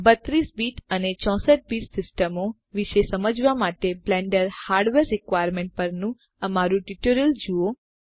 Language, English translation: Gujarati, To understand about 32 BIT and 64 BIT systems, see our Tutorial on Blender Hardware Requirements